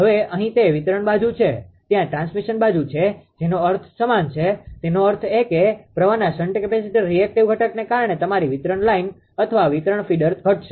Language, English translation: Gujarati, Now, here it is distribution side there is transmission side meaning is same; that means, ah your that your distribution line or distribution feeder because of the shunt capacitor reactive component of the current will decrease